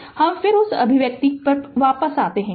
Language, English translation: Hindi, So, will will go back to that expression again